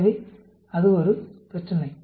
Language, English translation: Tamil, So, that is one problem